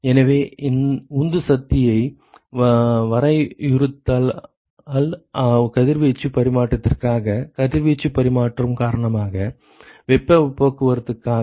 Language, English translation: Tamil, So, if we define the driving force; for radiation exchange, for heat transport due to radiation exchange